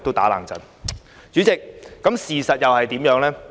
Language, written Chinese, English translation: Cantonese, 代理主席，事實是怎樣的呢？, Deputy President what is the reality?